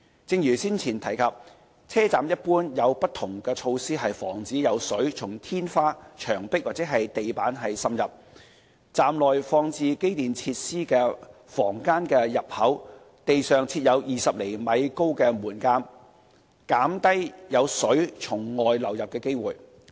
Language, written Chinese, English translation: Cantonese, 正如上文提及，車站一般有不同措施防止有水從天花、牆壁或地板滲入；站內放置機電設施的房間的入口地上設有20厘米高的門檻，減低有水從外流入的機會。, As mentioned above there are various measures in stations to prevent water seeping from the roof wall and floor . Kerbs of 20 cm in height are installed on the floor at the entrances of station rooms containing electrical and mechanical facilities to reduce the chance of water influx